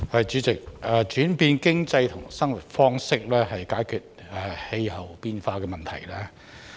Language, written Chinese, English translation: Cantonese, 主席，轉變經濟和生活方式可解決氣候變化的問題。, President making changes to the economy and lifestyles can resolve the problem of climate change